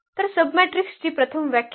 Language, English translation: Marathi, So, first the definition here of the submatrix